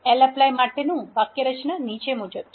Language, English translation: Gujarati, The syntax for the lapply is as follows